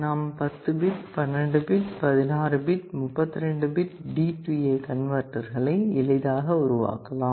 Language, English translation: Tamil, You can built a 10 bit, 12 bit, 16 bit, 32 bit D/A converter without any trouble